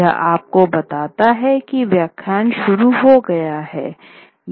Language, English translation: Hindi, It tells you that okay the lecture has begun